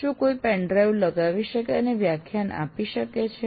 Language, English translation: Gujarati, Can someone put the pen drive in and present a lecture